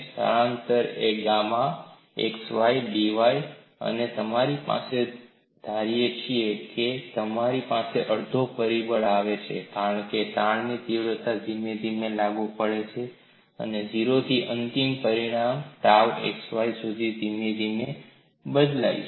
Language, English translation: Gujarati, The force is tau x y d x d z and the displacement is gamma x y d y and we also assume, you have the factor one half comes, because the stress magnitude is applied, gradually varies from 0 to the final magnitude tau x y gradually